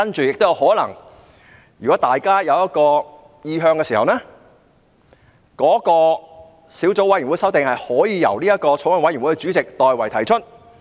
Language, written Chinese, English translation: Cantonese, 如果大家有意向時，小組委員會的修訂可以由法案委員會主席代為提出。, Amendments from the subcommittee can also be proposed by the Chairman of the Bills Committee if that is the intention of the subcommittee members